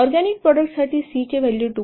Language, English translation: Marathi, For organic mode, the value of C is 2